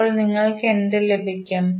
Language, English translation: Malayalam, So, what you will get